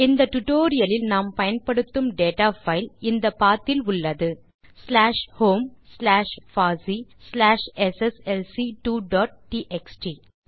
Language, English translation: Tamil, For this tutorial, we will use data file that is at the path slash home slash fossee slash sslc2 dot txt